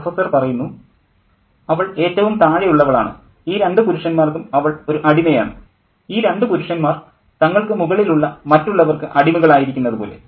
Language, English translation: Malayalam, She is at the bottom most, you know, and she is a slave to these two men, just as these two men are slaves to the others about them